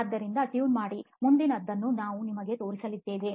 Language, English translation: Kannada, so stay tuned, we are going to show you the next one